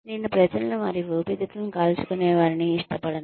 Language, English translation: Telugu, I do not like people, burning their lungs